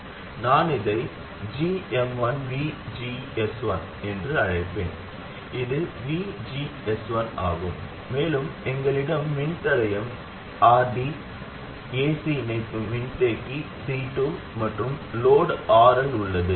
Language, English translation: Tamil, I will call this GM1, VGS 1, where this is VGS 1 and we have the resistor RD, AC coupling capacitor C2 and load RL